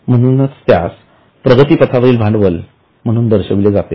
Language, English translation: Marathi, That's why it is shown as a capital work in progress